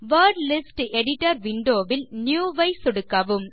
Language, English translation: Tamil, In the Word List Editor window, click NEW